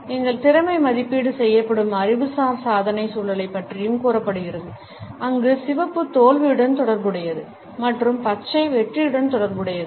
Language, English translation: Tamil, It is said also about the intellectual achievement context in which our competence is evaluated, where red is associated with failure and green is associated with success